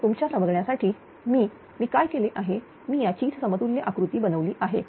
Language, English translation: Marathi, So, if you for your understanding what I have done I have made another equivalent diagram of this one